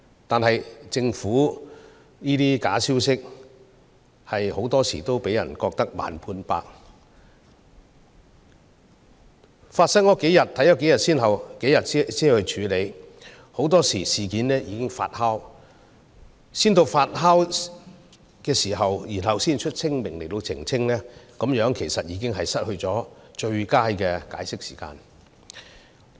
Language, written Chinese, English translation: Cantonese, 然而，對於這些假消息，政府很多時候令人感到"慢半拍"，當假消息散播數天後才加以處理，待事件發酵後才發聲明澄清，其實這樣已失去最佳的解釋時機。, However the Government often gives us the impression that it reacts slowly to fabricated news . It often handles them only after the news has been spread for a few days and only makes clarifications after the issues have festered . By that time the Government has already missed the best time to resolve the crisis